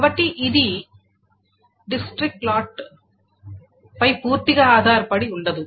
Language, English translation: Telugu, So it is not fully dependent on district and lot